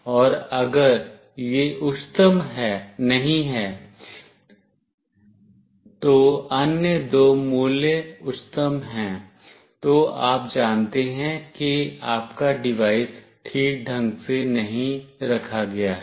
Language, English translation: Hindi, And if it is not the highest, then the other two values are highest, then you know that your device is not properly placed